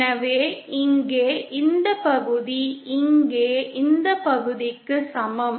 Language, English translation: Tamil, So this part here is same as this part here